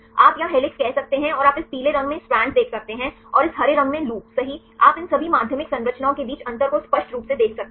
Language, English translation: Hindi, You can say helix here and you can see the strand in this yellow one and the loop right in this green one you can clearly see the difference between all these secondary structures